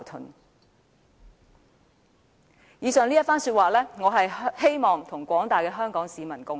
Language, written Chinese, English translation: Cantonese, 我希望藉以上這番說話，與廣大香港市民共勉。, I wish to encourage the people of Hong Kong with the aforesaid remarks